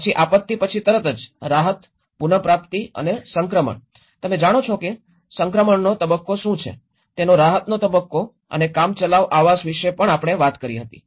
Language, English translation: Gujarati, Then immediately after the disaster, the relief, recovery and transition you know, what is the transition phase, the relief phase of it and the temporary housing